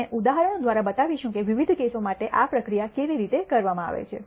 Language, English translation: Gujarati, We will show through examples how these procedure is carried out for different cases